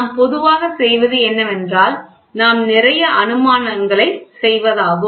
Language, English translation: Tamil, So, what we generally do is we make lot of assumptions